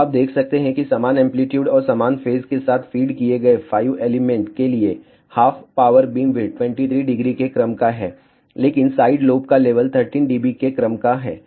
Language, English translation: Hindi, So, you can see that for 5 elements fed with equal amplitude and equal phase half power beamwidth is of the order of 23 degree, but side lobe levels are of the order of 13 dB